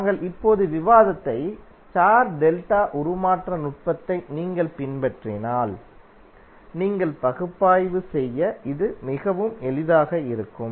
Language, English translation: Tamil, But if you follow the star delta transformation technique, which we just discussed, this will be very easy for you to analyse